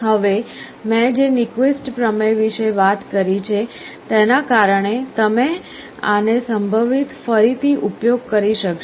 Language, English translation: Gujarati, Now, this you can possibly use again because of the Nyquist theorem I talked about